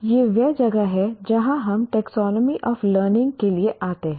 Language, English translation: Hindi, Now, that is where we come, taxonomy of learning